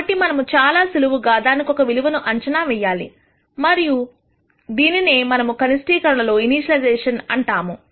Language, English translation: Telugu, So, we simply guess a value for that and this is what we call as initialization in the optimization